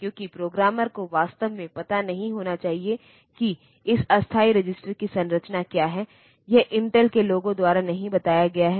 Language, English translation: Hindi, Because programmer is not supposed to know in fact, what is the structure of this temporary register it is not revealed by the Intel people